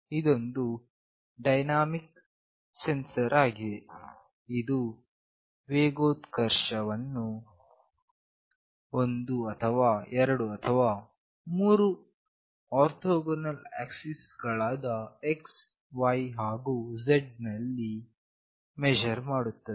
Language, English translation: Kannada, It is a dynamic sensor that can measure acceleration in one, two, or three orthogonal axes X, Y and Z